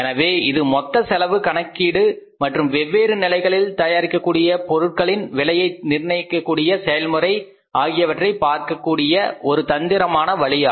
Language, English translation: Tamil, So, it is a very strategic way of looking at the total cost calculation and then costing the products being manufactured at the different levels of the different brackets